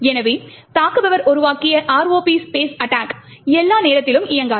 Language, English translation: Tamil, Therefore, the ROP space attack, which the attacker has created will not work all the time